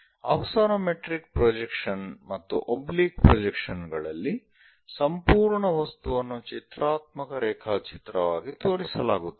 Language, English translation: Kannada, In axonometric projections and oblique projections, the complete object will be shown, but as a pictorial drawing